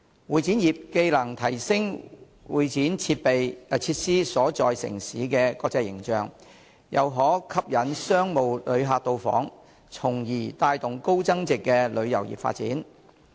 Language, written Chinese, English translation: Cantonese, 會展業既能提升會展設施所在城市的國際形象，又可吸引商務旅客到訪，從而帶動高增值旅遊業的發展。, Not only can CE industry improve the international image of the city where CE facilities are located it can also attract business visitors thereby driving the development of high value - added tourism